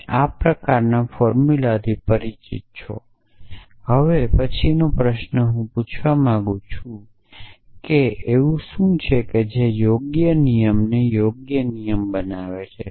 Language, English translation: Gujarati, You are familiar with this kind of formulas, so the next question I want to ask is what makes a rule of inference a suitable rule of inference essentially